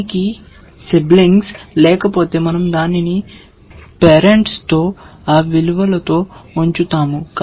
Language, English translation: Telugu, If it has no sibling, we place it with the parent with that value